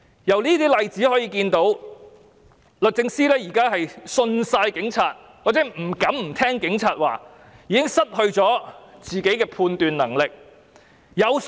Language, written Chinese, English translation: Cantonese, 由這些例子可以看到，律政司現時完全信任警察，或不敢不聽警察的話，已經失去自己的判斷能力。, We can see from such cases that the Department of Justice fully trusts the Police or dare not disobey them . It has lost its ability to make judgments on its own